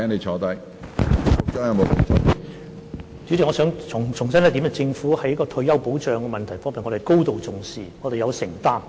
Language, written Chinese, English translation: Cantonese, 主席，我想重申一點，政府在退休保障方面是高度重視，而且有承擔的。, President I wish to reiterate one point . The Government attaches great importance to retirement protection and is committed to it